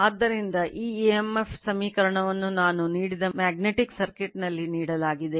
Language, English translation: Kannada, So, this emf equation is given actually in that magnetic circuit I have given